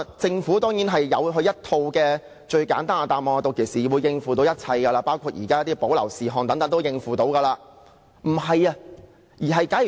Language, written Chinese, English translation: Cantonese, 政府當然提供一套最簡單的答案，指屆時自然可以處理，包括《條例草案》中的保留事項也可以處理。, As expected the Government provided the simplest answer saying that it could naturally deal with all matters―including the reserved matters as set out in the Bill―should they arise